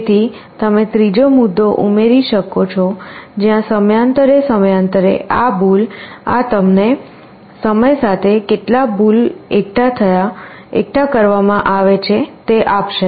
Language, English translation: Gujarati, So, you can add a third point, where summation over time this error, this will give you how much error you are accumulating over time